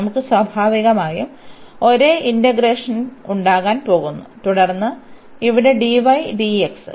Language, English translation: Malayalam, We are going to have the same integrand naturally and then here dy and dx